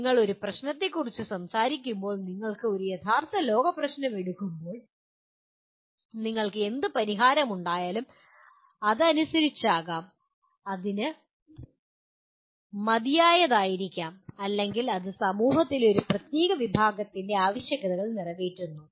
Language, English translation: Malayalam, When you talk about a problem, when you take a real world problem, whatever solution you produce, it may be as per the, it may be adequate or it meets the requirements of a certain segment of the society